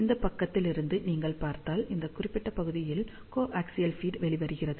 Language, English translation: Tamil, And from the side if you see, this is how the coaxial feed is coming out from this particular portion over here